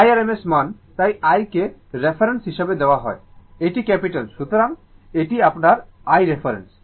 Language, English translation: Bengali, I is the rms value right, so that is why this I is taken as a reference, this is capital I, this is capital I